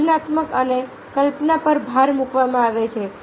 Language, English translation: Gujarati, the emphasis is an creativity and imagination